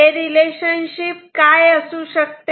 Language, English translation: Marathi, So, what can be that relationship